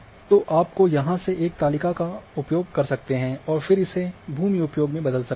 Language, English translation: Hindi, So, you can you can use a table from here and then change to say land use